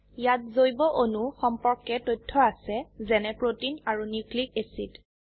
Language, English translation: Assamese, It has information about biomolecules such as proteins and nucleic acids